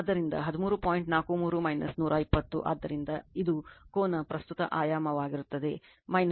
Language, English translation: Kannada, 43 minus 120, so, it will be angle is equal to current dimension minus once under 6